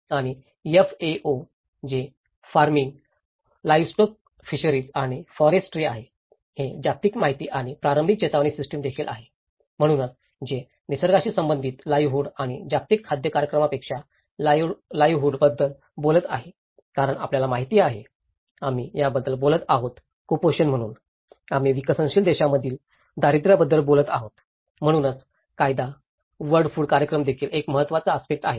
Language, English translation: Marathi, And FAO which is the farming livestock fisheries and the forestry, which is also of the global information and early warning system so, it talks about the livelihood than the nature related livelihood aspects and World Food Program because you know, we are talking about the malnutrition so, we are talking about the poverty in developing countries, so that is where the law, the World Food Program is also an important aspect